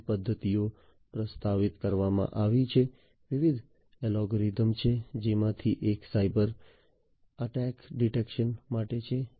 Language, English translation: Gujarati, So, different method methodologies have been proposed, different algorithms are there, one of which is for cyber attack detection